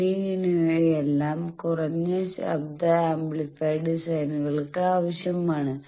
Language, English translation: Malayalam, Those are required for low noise amplifier designs